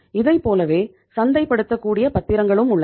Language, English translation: Tamil, Similarly, we have the marketable securities